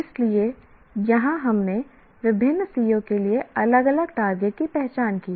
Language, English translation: Hindi, So, here we identified different targets for different COs